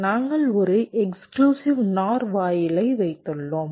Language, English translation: Tamil, we have put an exclusive node gates